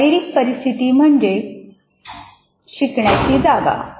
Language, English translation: Marathi, Physical environment actually is the learning spaces